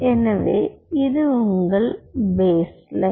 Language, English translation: Tamil, so this is your baseline, ok